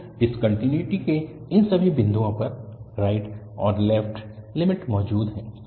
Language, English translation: Hindi, So, at all these points of discontinuity, the right and the left limit exist